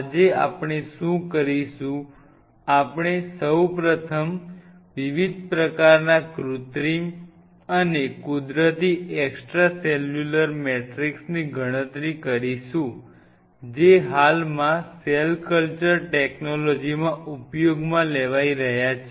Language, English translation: Gujarati, Today what we will do; we will first of all enumerate the different kind of synthetic and natural extracellular matrix which are currently being used in the cell culture technology